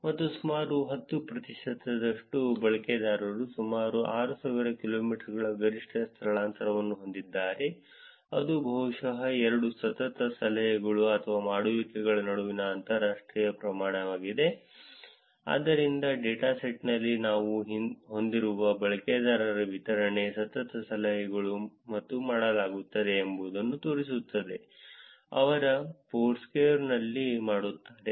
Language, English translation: Kannada, And about ten percent of the users have a maximum displacement of about 6000 kilometers, this is probably international travel between two consecutive tips or dones, so that shows what is the distribution of the users who we have in the dataset, the consecutive tips and dones that they do on Foursquare